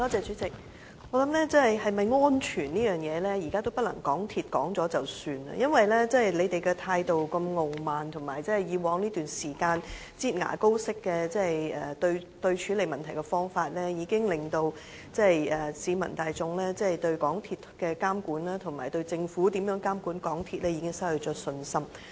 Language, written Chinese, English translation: Cantonese, 主席，我想鐵路是否安全，現在已不是港鐵公司說了算，因為他們的態度如此傲慢，而且以往一段時間"擠牙膏"式的處理問題方法，已經令市民大眾對港鐵公司監管工程，以及政府監管港鐵公司失去信心。, President I think as far as railway safety is concerned it can no longer be determined by MTRCL alone . Its arrogance and its piecemeal approach in response to the problems in a manner like squeezing toothpaste from a tube have made the public lose confidence in MTRCLs monitoring of its projects and in the Governments monitoring of MTRCL